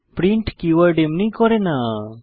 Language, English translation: Bengali, The keyword print does not